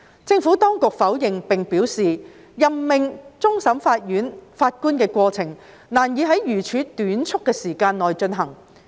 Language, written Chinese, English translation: Cantonese, 政府當局否認並表示，任命終審法院法官的過程難以在如此短促的時間內進行。, The Administration has denied and advised that it will be difficult for the appointment of CFA judges to be made within such a short period of time